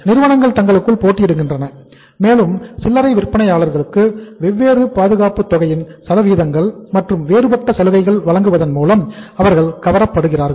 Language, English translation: Tamil, Companies compete with each other and they keep on luring the retailers by offering them different schemes, different percentages of the margins and different other incentives